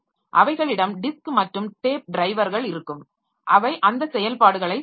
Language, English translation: Tamil, So, they will have the disk and tape drivers which will be doing those operations